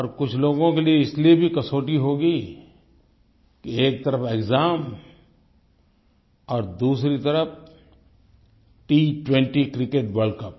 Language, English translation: Hindi, For those of you who still have examinations, it must be a testing time with exams on one hand and T20 Cricket World Cup on the other